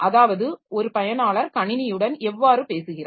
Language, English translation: Tamil, That is how does a user talk to the system